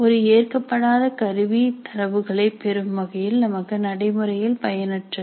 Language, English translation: Tamil, An invalid instrument is practically useless for us in terms of getting the data